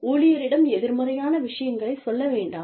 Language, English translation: Tamil, Do not say, negative things to the employee